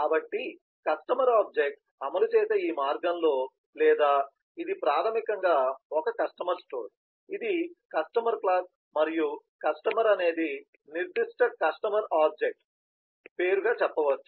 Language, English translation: Telugu, so in this path of execution in the customer object or which is basically a customer store, so this is customer class and a customer say as if the name of the particular customer object